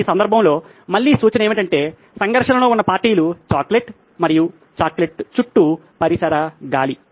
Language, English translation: Telugu, Again a hint in this case would be that the parties in conflict is the chocolate itself and the ambient air around the chocolate